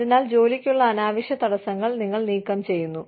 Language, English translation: Malayalam, So, you remove, the unnecessary barriers to employment